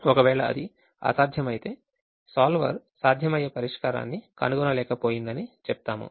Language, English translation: Telugu, if it is infeasible, it will say solver was not able to find a feasible solution